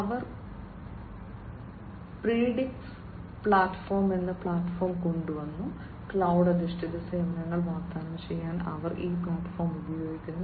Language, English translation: Malayalam, They have come up with a platform which is the Predix platform, they use this platform this is their platform for offering cloud based services